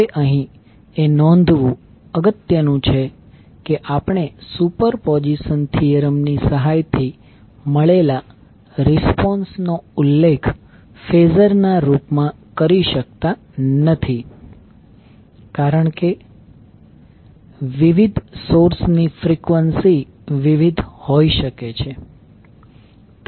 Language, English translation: Gujarati, Now it is important to note here that the responses which we get with the help of superposition theorem cannot be cannot be mentioned in the form of phasor because the frequencies of different sources may be different